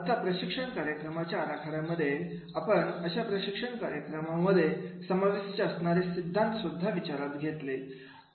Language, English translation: Marathi, Now in designing the training programs we have to also take into consideration the theories in designing the training programs